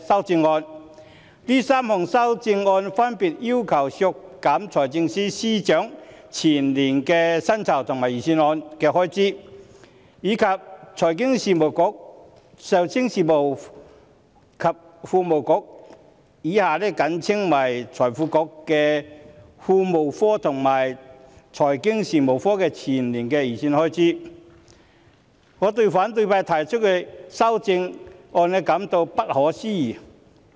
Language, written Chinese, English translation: Cantonese, 這3項修正案分別要求削減財政司司長全年的薪金預算開支、財經事務及庫務局個人薪酬的全年薪金預算開支，以及財經事務及庫務局有關資助金下金融發展局的全年預算開支。, They seek to cut respectively the estimated full - year expenditures on the salary of the Financial Secretary the salaries under personal emoluments of the Financial Services and the Treasury Bureau and that on the Financial Services Development Council under the relevant subvention of the Financial Services and the Treasury Bureau